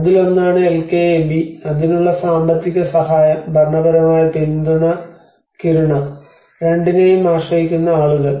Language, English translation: Malayalam, One is LKAB is the financial support for that, and the administrative support is the Kiruna, and the people relying on both